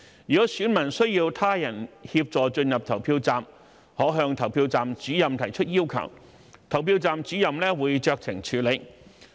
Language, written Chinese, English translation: Cantonese, 如選民需要他人協助進入投票站，可向投票站主任提出要求，投票站主任會酌情處理。, Electors requiring assistance from others for entering a polling station may make a request to PRO for discretionary arrangements as appropriate